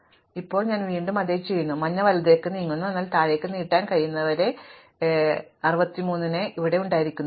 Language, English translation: Malayalam, So, now, I again a start doing the same thing, I move the yellow right, until I can no longer extend lower, here I cannot extend it anyway, because 63 should already not be there